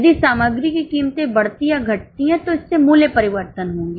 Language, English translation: Hindi, If the material prices increase or decrease, it will lead to price variances